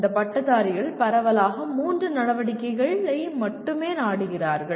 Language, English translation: Tamil, And these graduates seek, there are only three activities broadly